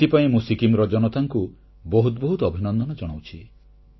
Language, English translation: Odia, For this, I heartily compliment the people of Sikkim